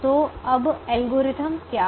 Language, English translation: Hindi, so now, what is the algorithm